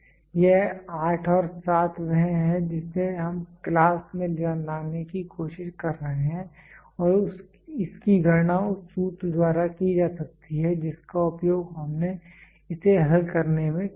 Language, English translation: Hindi, This 8 and 7 is what we are trying to get the class and this can be calculated by the formula which we used in solving it